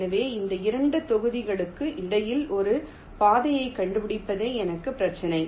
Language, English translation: Tamil, so my problem is to find a path between these two vertices